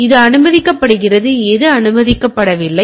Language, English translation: Tamil, So, what is allowed and what is not allowed